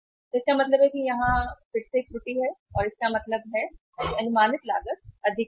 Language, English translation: Hindi, So it means again there is a error here and that is means the estimated was estimated ordering cost was high